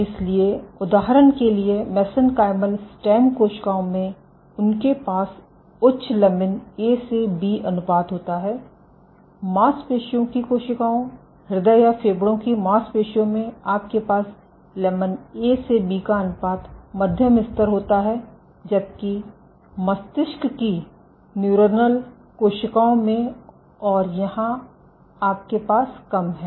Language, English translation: Hindi, So, in for example, in mesenchymal stem cells they have high lamin A to B ratio, in muscle cells muscle or heart or lung you have moderate levels of lamin A to B ratio, while in brain cells neuronal cells you have low and here